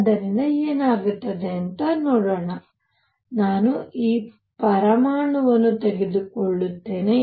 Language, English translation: Kannada, So, let us see what happens, I will take this atom